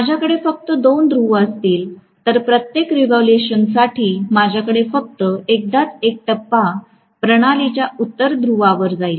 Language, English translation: Marathi, If I have only two poles I am going to have for every revolution only once A phase is going to face the no north pole of the system